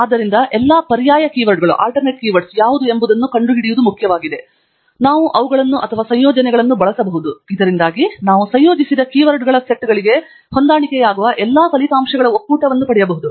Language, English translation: Kannada, Therefore, its very important to find out what are all the alternative keywords, so that we can use them with OR combination, so that we can get a union of all the results that will match the set of keywords that we have combined